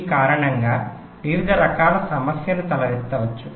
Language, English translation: Telugu, various kinds of problems may may arise because of this